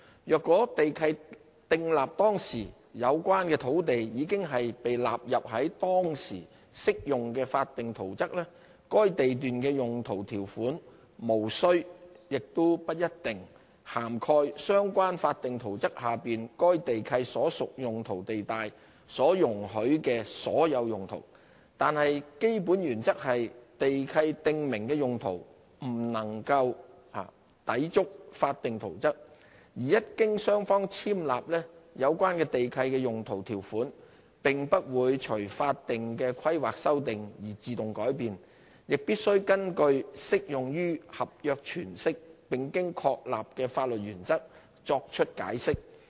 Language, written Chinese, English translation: Cantonese, 如果地契訂立當時，有關的土地已納入當時適用的法定圖則，該地契的用途條款無須、亦不一定涵蓋相關法定圖則下該地段所屬用途地帶所容許的所有用途，但基本原則是地契訂明的用途不能夠抵觸法定圖則，而一經雙方簽立，有關地契的用途條款並不會隨法定規劃修訂而自動改變，亦必須根據適用於合約詮釋並經確立的法律原則作出解釋。, If the land has been included in the statutory plan applicable at the time when the land lease is entered into the user clauses in the lease need not and do not necessarily cover all the uses permitted in the land use zone of the lot under the relevant statutory plan . But the basic principle is that the user clauses stipulated in the lease cannot contravene the statutory plan . Once the lease is executed by both parties the user clauses therein will not automatically change with the amendments to the statutory plan; and they must be construed according to established legal principles governing the applied contracts